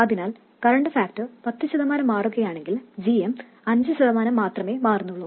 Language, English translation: Malayalam, So if current factor changes by 10 percent, GM changes only by 5 percent